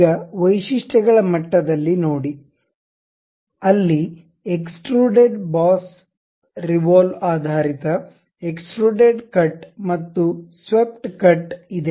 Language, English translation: Kannada, Now, see at the features level there is something like extruded boss revolve base extruded cut and swept cut